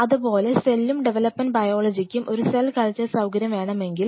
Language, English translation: Malayalam, Similarly, cell and development biology, if they want to have a cell culture facility